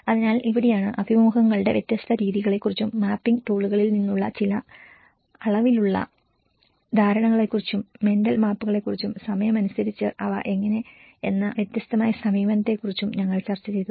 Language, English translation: Malayalam, So this is where, we discussed about different methods of interviews and some of the quantitative understanding from the mapping tools, mental maps, and by time wise, how they varied and different approaches